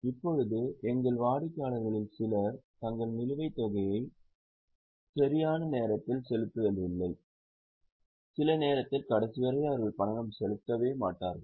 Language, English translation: Tamil, Now, there is a likelihood that few of our customers don't pay their dues on time and eventually they don't pay at all